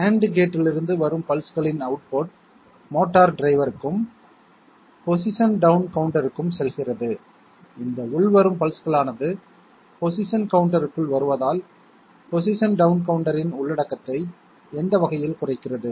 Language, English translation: Tamil, The pulses output from AND gate go to motor driver and also to a position down counter, these incoming pulses that means incoming into the position counter decrement the content of the position down counter in what way